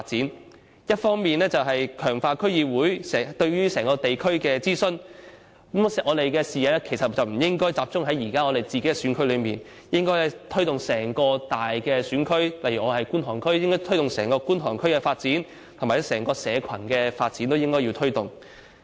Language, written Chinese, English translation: Cantonese, 其中一方面是強化區議會對地區的諮詢，但我們的視野不應該只集中在自己現時的選區，而應該推展至整個大選區，例如我是觀塘區的，便應該推動整個觀塘區的發展及整體社群發展。, Yet we should not confine our vision to our own constituencies and we should promote our work from our own constituencies to the whole district . For example in Kwun Tong District we should promote development and the overall community development of the whole Kwun Tong District